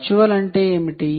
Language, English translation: Telugu, what do we mean by virtual